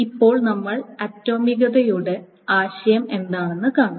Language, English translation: Malayalam, And now we see, let us say, what is the idea of atomicity